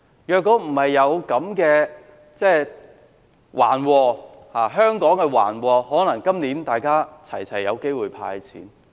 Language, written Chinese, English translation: Cantonese, 如果香港沒有遭逢這場橫禍，可能人人都有機會獲"派錢"。, Had Hong Kong not been hit by this unexpected disaster all of us might have had the chance to get cash handouts